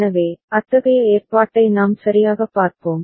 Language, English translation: Tamil, So, we shall look at such arrangement ok